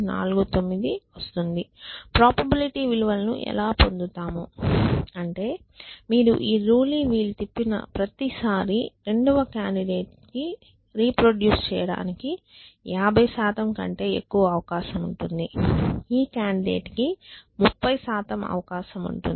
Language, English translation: Telugu, So, that is how you get the probability values which means that every time you spin this rule wheel the second candidate has above 50 percent chance of being reproduce this candidate has about 30 percent chance